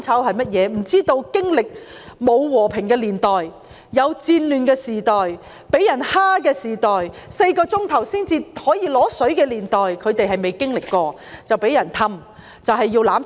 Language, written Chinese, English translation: Cantonese, 他們不曾經歷戰亂的時代、遭受欺負的時代及每4小時才可以用水一次的年代，因此被別有用心的人哄騙，要香港"攬炒"。, They have never experienced the times of war turbulence the times of foreign invasion and also the times of water supply at a four - hour interval . This explains why they want to bring forth the mutual destruction of Hong Kong under the inducement of those with ulterior motives